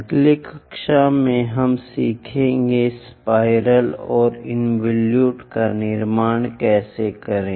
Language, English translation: Hindi, In the next class we will learn about how to construct spiral and involute